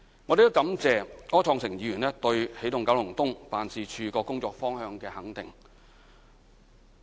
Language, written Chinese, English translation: Cantonese, 我亦感謝柯創盛議員對起動九龍東辦事處工作方向的肯定。, I am also thankful to the recognition given by Mr Wilson OR to the work of the Energizing Kowloon East Office